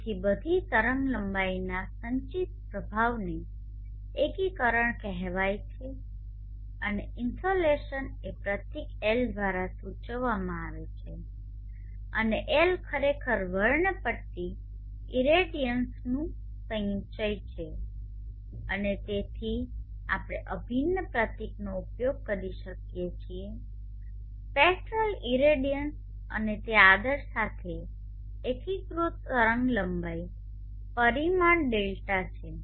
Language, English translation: Gujarati, So the accumulated effect of all wavelengths together is called insulation and the insulation is denoted by the symbol L and L is actually an accumulation of the spectral irradiance and therefore we can use the integral symbol the spectral radians and it is integrated with respect to the wavelength parameter